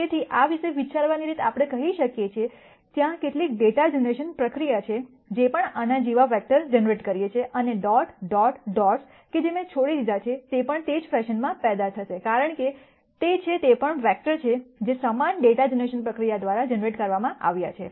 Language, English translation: Gujarati, So, the way to think about this it is let us say there is some data generation process, which is generating vectors like this, and the dot dot dots that I have left out, will also be generated in the same fashion, because those are also vectors that are being generated by the same data generation process